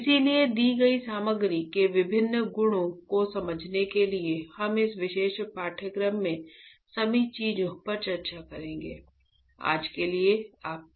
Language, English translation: Hindi, So, to understand different properties of a given material we will discuss all the things in this particular course right